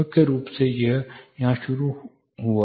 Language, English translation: Hindi, Primarily it started there